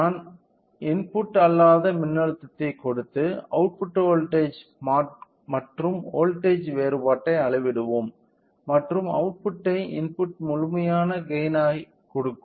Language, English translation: Tamil, We will be applying a non input voltage, we will measure the output voltage and the difference and output by input gives the gain of the complete system